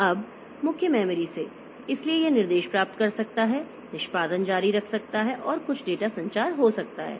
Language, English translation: Hindi, Now from the main memory so it can get instruction execution that can continue and some data movement can take place